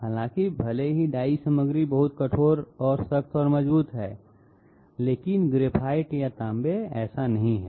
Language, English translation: Hindi, However, even though die material is very you know hard and tough and strong, etc, but graphite or copper they are not so